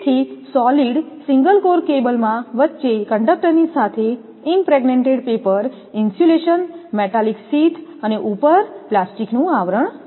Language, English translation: Gujarati, So, a solid single core cable has a center conductor with an insulation of impregnated paper, a metallic sheath and a plastic over sheath, that is, figure one shows